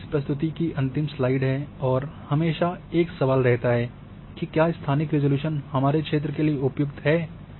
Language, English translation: Hindi, Now this is the last slide of this presentation is there is always a question that what this spatial resolution is appropriate for my area